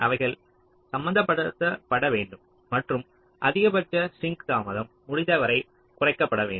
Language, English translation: Tamil, they should be balanced and the maximum sink delay should be minimized as far as possible